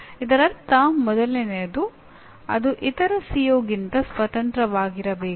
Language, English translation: Kannada, That means first thing is it should be independent of other CO